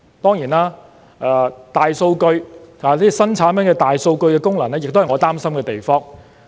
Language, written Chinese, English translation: Cantonese, 當然，新產品的大數據功能亦是我擔心的地方。, The function of big data collection performed by the new products is indeed my worry too